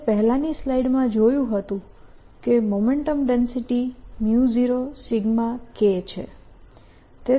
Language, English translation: Gujarati, we saw in the previous slide that the momentum density was mu zero sigma k